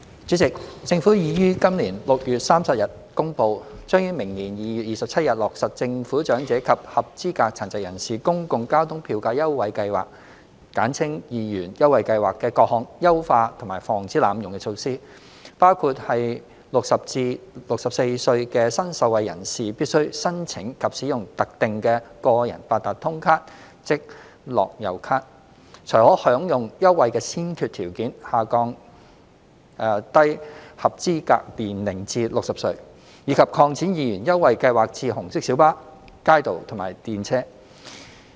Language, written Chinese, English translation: Cantonese, 主席，政府已於今年6月30日公布，將於明年2月27日落實政府長者及合資格殘疾人士公共交通票價優惠計劃的各項優化和防止濫用的措施，包括在60至64歲的新受惠人士必須申請及使用特定的個人八達通卡才可享用優惠的先決條件下降低合資格年齡至60歲；以及擴展二元優惠計劃至紅色小巴、街渡和電車。, President the Government announced on 30 June this year that the enhancement and anti - abuse measures under the Government Public Transport Fare Concession Scheme for the Elderly and Eligible Persons with Disabilities 2 Scheme will be launched on 27 February next year . Such measures include lowering the eligible age to 60 on the condition that the new eligible persons aged 60 to 64 must apply for and use the tailor - made Personalised Octopus Card to enjoy the 2 concessionary fare and extending the 2 Scheme to red minibuses RMBs kaitos and tramways